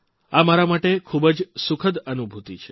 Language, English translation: Gujarati, This has been a very sublime experience for me